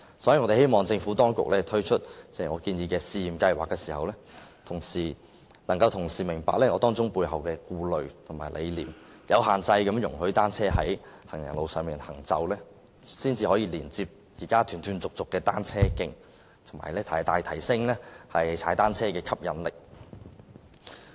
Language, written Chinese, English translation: Cantonese, 所以，我們希望政府當局推出我建議的試驗計劃時，能夠同時明白當中的顧慮及理念，容許單車有限制地在行人路上行走，連接現時斷斷續續的單車徑，從而大大提升踏單車的吸引力。, For this reason we hope that when the Administration launches the pilot scheme proposed by me it can at the same time appreciate the concerns and ideology involved allow bicycles to travel on pavements subject to restrictions and link up the cycle tracks which are currently disconnected thereby greatly enhancing the appeal of cycling